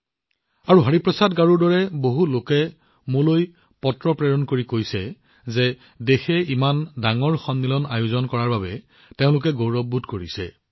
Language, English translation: Assamese, Today, many people like Hariprasad Garu have sent letters to me saying that their hearts have swelled with pride at the country hosting such a big summit